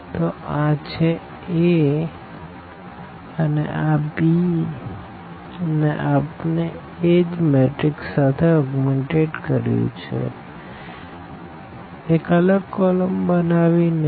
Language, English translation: Gujarati, So, this is precisely the A 1 1 1 2 3 1 and 1 2 3 and this b we have augmented here with the same matrix as extra column